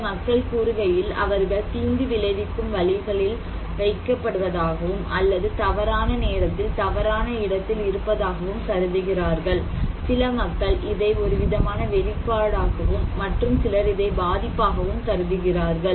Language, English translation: Tamil, So, some people are saying that, placed in harm ways, or being in the wrong place at the wrong time, some people may consider this is also as kind of exposure but for some people this is also considered to be as vulnerability